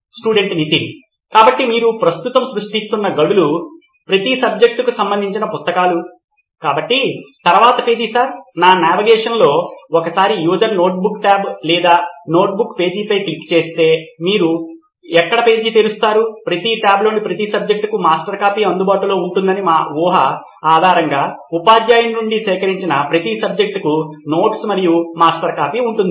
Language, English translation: Telugu, So the tiles that you are creating right now are the books for each subject right, so the next page sir, in this navigation would be once a user clicks on the notebook tab or the notebook page then subsequent page would open where you would have notes for each subject and the master copy whether it is collected from the teacher based on our assumption that master copy would be available for each subject in each of those tabs